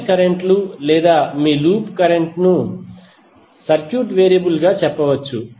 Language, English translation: Telugu, Mesh currents or you can say loop current as a circuit variable